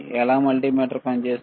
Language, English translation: Telugu, How multimeter operates